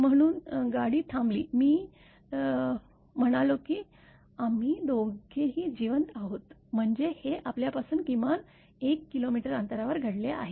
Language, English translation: Marathi, So, car stopped I said we both are alive; that means, it has happened at least 1 kilometer away from us